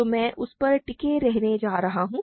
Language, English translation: Hindi, So, I am going to stick to that